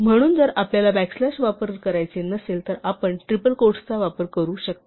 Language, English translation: Marathi, So, if we do not want to use back slash, you can use a triple quote